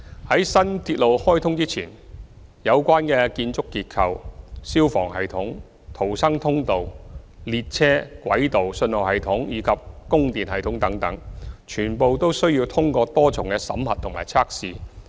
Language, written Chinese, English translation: Cantonese, 在新鐵路開通前，有關的建築結構、消防系統、逃生通道、列車、軌道、信號系統及供電系統等，全部都需要通過多重審核及測試。, Before the commissioning of a new railway all the relevant building structures fire services systems emergency escapes trains tracks signalling systems and power supply systems are subjected to multiple approvals and tests